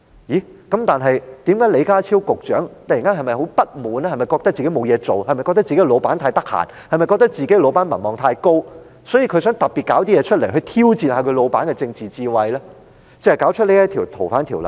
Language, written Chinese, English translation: Cantonese, 那麼，李家超局長是否突然感到很不滿，認為自己沒事可做，自己的上司太空閒、民望也太高，所以想要弄出一件事，提出修訂《條例》，來挑戰他上司的政治智慧呢？, Well did Secretary John LEE suddenly feel very dissatisfied that he had nothing to do and his boss was at a loose end enjoying an exceedingly high popularity rating so he wanted to stir up something by proposing to amend FOO with a view to challenging his bosss political wisdom?